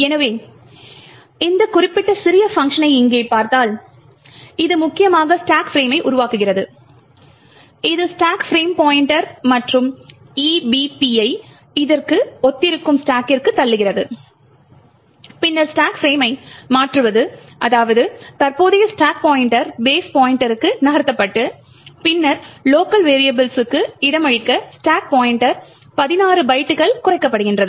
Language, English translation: Tamil, So, if you look at this particular small function over here which essentially creates the stack frame, it pushes the stack frame pointer, EBP on to the stack that corresponds to this and then there is a changing of stack frame that is the current stack pointer is moved to base pointer and then the stack pointer is decremented by 16 bytes to give space for the local variables